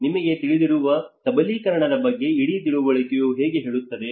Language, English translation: Kannada, That is how the whole understanding talks about the empowerment you know